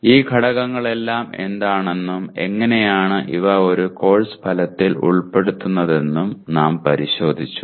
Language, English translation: Malayalam, We looked at all these elements and how do you incorporate these elements into a Course Outcome